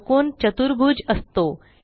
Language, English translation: Marathi, The square is a quadrilateral